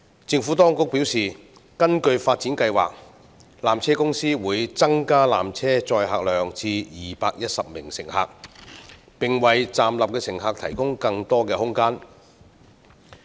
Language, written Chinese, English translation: Cantonese, 政府當局表示，根據發展計劃，纜車公司會增加纜車載客量至210名乘客，並為站立的乘客提供更多空間。, The Administration has advised that under the upgrading plan PTC will increase the tramcar capacity to 210 passengers and provide more space to standing passengers